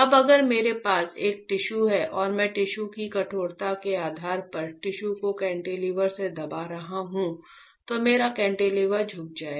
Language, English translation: Hindi, Now if I have a tissue and I am pressing the tissue with the cantilever, depending on the stiffness of the tissue, depending on the stiffness of tissue, my cantilever will bend right